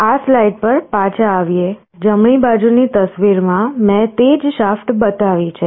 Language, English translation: Gujarati, Coming back to this slide, in the picture on the right, I have showed the same shaft